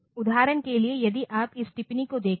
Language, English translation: Hindi, For example, if you look into this comment